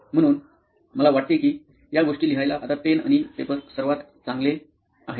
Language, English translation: Marathi, So I think pen and paper is the best to write those things now